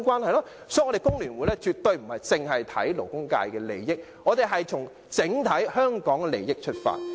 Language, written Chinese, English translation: Cantonese, 所以，我們工聯會絕非單看勞工界的利益，而是從整體香港的利益出發。, Therefore we in FTU absolutely do not just set eyes on the interest of the labour sector . Rather we make consideration from the interest of Hong Kong as a whole